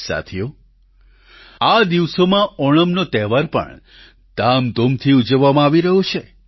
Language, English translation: Gujarati, Friends, these days, the festival of Onam is also being celebrated with gaiety and fervour